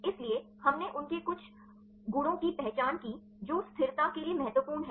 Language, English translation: Hindi, So, we identified their some properties right which are important for stability